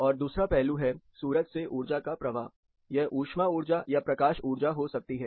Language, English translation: Hindi, And number two is the energy flow from the sun, be it heat energy be it light energy